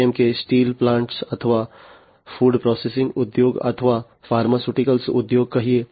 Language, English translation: Gujarati, Like let us say steel plants or, you know, food processing industry or, pharmaceuticals industry etcetera